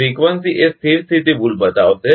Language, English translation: Gujarati, Frequency will show steady state error